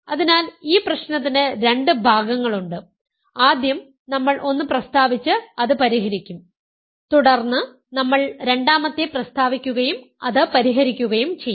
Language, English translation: Malayalam, So, there are two parts to this problem we will first state one and solve it and then we will state two and then solve two